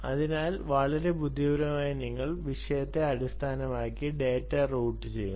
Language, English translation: Malayalam, so, very intelligently, you loot the data based on the topic